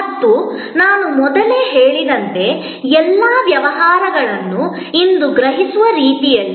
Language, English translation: Kannada, And as I mentioned earlier, in the way all businesses are perceived today